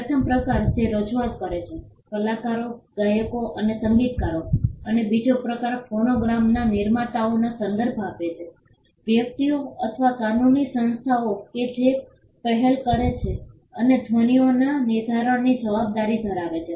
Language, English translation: Gujarati, The first type referred to performers; actors, singers and musicians and the second type refer to producers of phonograms; persons or legal entities that take the initiative and have the responsibility for the fixation of sounds